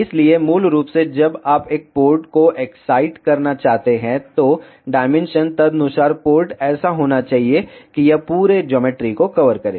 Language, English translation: Hindi, So, basically when you want to excite a port, the dimension correspondingly port should be such that that it should cover the whole geometry